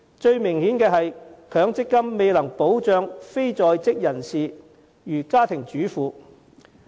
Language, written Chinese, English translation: Cantonese, 最明顯的是，強積金未能保障如家庭主婦等非在職人士。, The most obvious case is that MPF fails to protect non - working people such as housewives